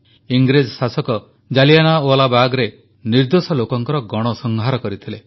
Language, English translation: Odia, The British rulers had slaughtered innocent civilians at Jallianwala Bagh